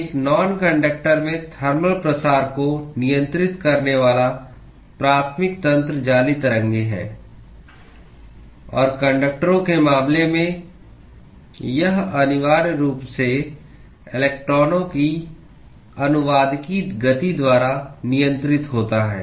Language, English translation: Hindi, The primary mechanism that governs the thermal diffusion in a non conductor is the lattice waves; and in the case of conductors, it is essentially governed by the translational motion of electrons